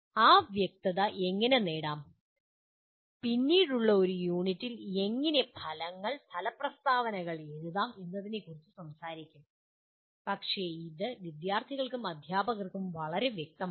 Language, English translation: Malayalam, How to achieve that clarity we will talk about in a later unit how to write the outcomes, outcome statements but it is very clear to the students and teachers